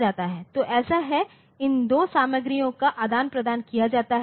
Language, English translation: Hindi, So, that is so, these two contents are exchanged